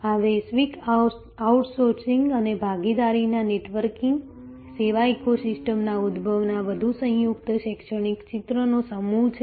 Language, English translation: Gujarati, This is a set of a more composite academic picture of global outsourcing and networking of partners, emergence of service ecosystem